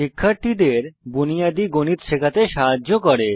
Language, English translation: Bengali, Helps teach kids basics of mathematics